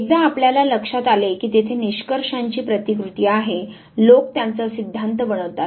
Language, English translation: Marathi, Once you realize that there is replication of finding people theorize it